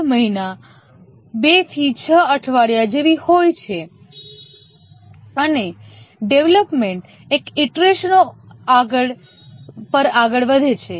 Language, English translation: Gujarati, 5 month, 2 to 6 weeks and the development proceeds over many iterations